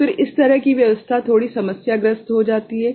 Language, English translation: Hindi, So, then this kind of arrangement becomes a bit problematic ok